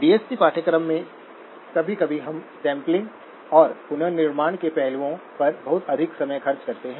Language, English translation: Hindi, In DSP course, sometimes we do spend too much time on the aspects of sampling and reconstruction